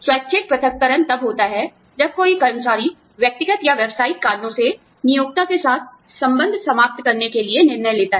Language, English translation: Hindi, Voluntary separation occurs, when an employee decides, for personal or professional reasons, to end the relationship, with the employer